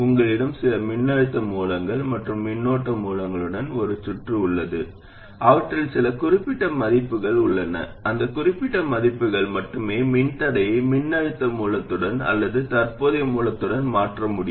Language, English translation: Tamil, You have a circuit with some voltage sources and current sources, they have some particular values, only for that particular set of values you could replace a resistor with a voltage source or a current source